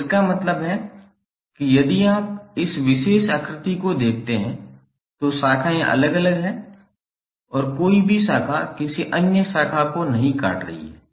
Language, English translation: Hindi, So it means that if you see this particular figure, the branches are separate and no any branch is cutting any other branch